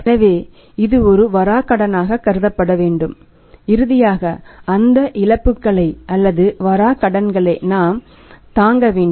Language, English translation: Tamil, So, it has to be considered as a bad debt and finally we have to bear with that losses or that bad debts